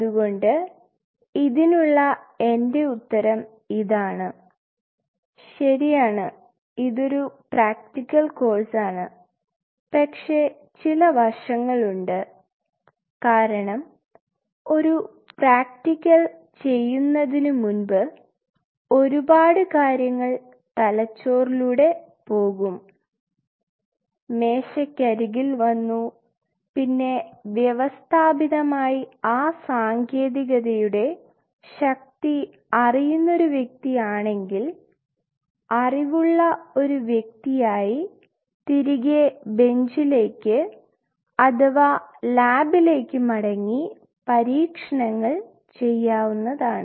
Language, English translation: Malayalam, So, my answer to this is yes indeed it is a practical course, but there are aspects because before you do a practical a lot of things goes in the brain and jot down on the table and if one is systematically knows the power of a technique then one really can go back to the bench or go back to the lab as a much more well equipped and a wise individual to design experiments